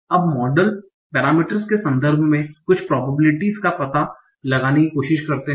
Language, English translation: Hindi, Now, try to find out some probabilities in terms of the model parameters